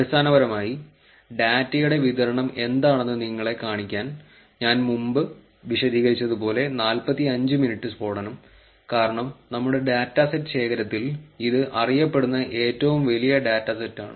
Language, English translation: Malayalam, Basically, to just show you what distribution that the data has, the 45 minutes blast so as I explained before, since in our data set collection, this is the largest known data set